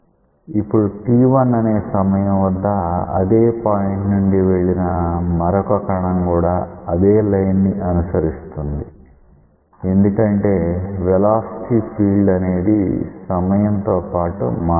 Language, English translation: Telugu, Now, another particle which pass through this at t equal to t 1 that will also follow this line because, with time the velocity field has not changed